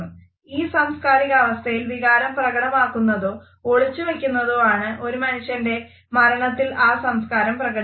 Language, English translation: Malayalam, In this cultural setting, the emotion or the lack of it is how that culture expresses emotion when a person passes away